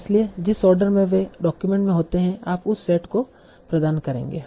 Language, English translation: Hindi, So the order in which they occur in the document, you provide that set